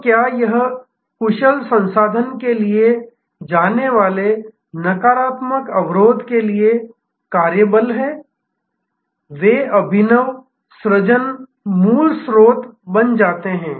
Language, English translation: Hindi, So, whether it is the workforce for the negative constraint going to efficient resource, they become they innovative creation fountain head